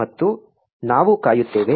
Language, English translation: Kannada, And we wait